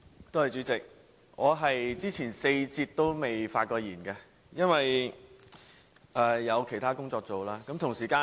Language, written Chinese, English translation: Cantonese, 代理主席，我在前4節都未曾發言，因為有其他工作在身。, Deputy President I did not speak in the four previous sessions as I had other work engagements